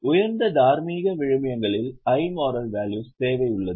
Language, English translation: Tamil, There is a need for high moral values